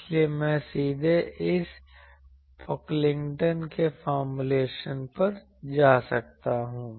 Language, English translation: Hindi, So, I can directly go to this Pocklington’s formulation that